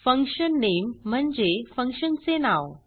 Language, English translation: Marathi, fun name defines the name of the function